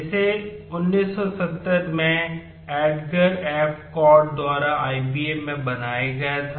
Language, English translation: Hindi, It was created by Edgar F Codd at IBM in 1970